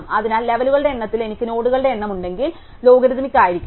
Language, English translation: Malayalam, So, therefore, if I have the number of nodes in the number of levels must be logarithmic in that